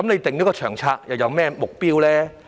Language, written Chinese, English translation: Cantonese, 訂下《長策》又有何目標？, What is the objective of formulating LTHS?